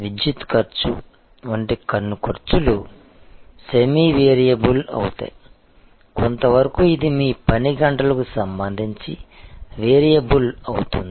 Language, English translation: Telugu, There will be some of the costs are semi variable like the electricity cost, to some extent it will be variable with respect to your hours of operation and so on